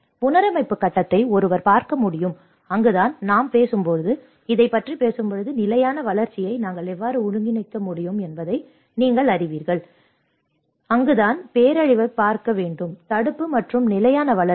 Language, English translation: Tamil, And one can look at the reconstruction phase, and that is where when we talk about, when we are talking about this, we have to understand that you know how we can integrate the sustainable development and that is where one has to look at the disaster prevention and the sustainable development